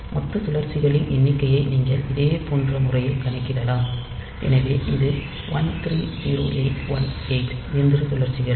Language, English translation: Tamil, And total number of cycles, you can compute in a similar fashion, so it is 130818 machine cycles